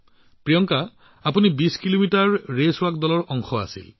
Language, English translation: Assamese, Priyanka, you were part of the 20 kilometer Race Walk Team